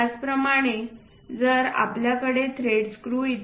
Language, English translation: Marathi, Similarly, if we have thread screws and so on